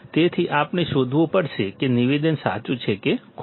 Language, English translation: Gujarati, So, we have to find out whether the statement is true or false